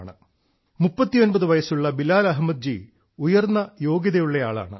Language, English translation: Malayalam, 39 years old Bilal Ahmed ji is highly qualified, he has obtained many degrees